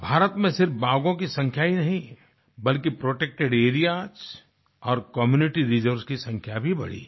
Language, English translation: Hindi, Not only the tiger population in India was doubled, but the number of protected areas and community reserves has also increased